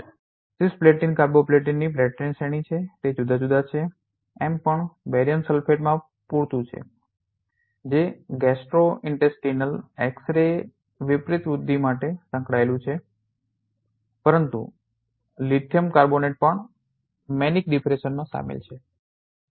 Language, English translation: Gujarati, For instance we have different you know platin series of drug cisplatin carboplatin we have also our enough in barium sulfate which is involved for the gastrointestinal X ray contrast enhancement, but lithium carbonate also involved in the manic depression